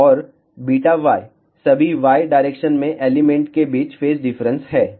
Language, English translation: Hindi, And, beta y is the phase difference between all the elements in the y direction